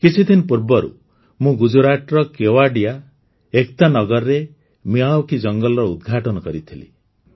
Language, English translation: Odia, Some time ago, I had inaugurated a Miyawaki forest in Kevadia, Ekta Nagar in Gujarat